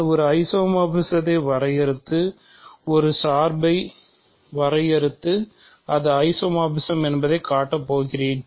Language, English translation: Tamil, So, I am going to simply define an isomorphism and define a map and show that it is isomorphism